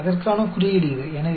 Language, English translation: Tamil, So, this is the symbol for that